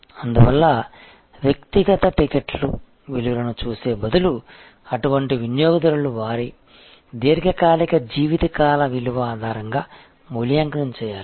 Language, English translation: Telugu, Therefore, instead of looking at individual ticket value, such customer should be evaluated on the basis of their long term life time value